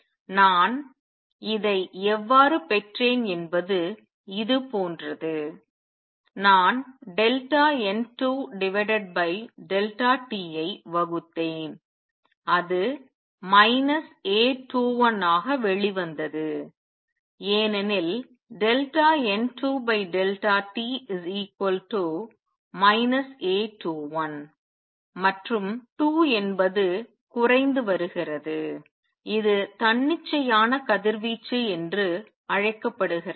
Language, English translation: Tamil, How I got this is like this I divided delta N 2 by delta t and it came out to be A 21, a minus sign because delta N 2 by delta t is negative and 2 is decreasing and this is known as spontaneous radiation